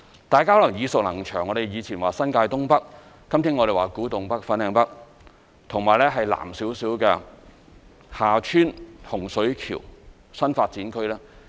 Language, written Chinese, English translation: Cantonese, 大家可能耳熟能詳，我們以前說新界東北，今天我們說古洞北/粉嶺北和其南面一點的洪水橋/厦村新發展區。, Members may have heard some well - known places that we mentioned some time ago such as the Northeast New Territories the Kwu Tung NorthFanling North New Development Area and the Hung Shui KiuHa Tsuen New Development Area to the South of the former that we mention today